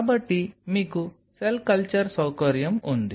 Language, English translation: Telugu, So, you have a cell culture facility